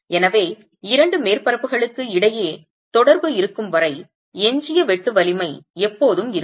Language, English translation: Tamil, So, there will always be a residual shear strength as long as contact between the two surfaces is going to exist